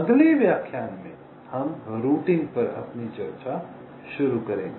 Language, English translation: Hindi, so in the next lecture we shall be starting our discussions on routing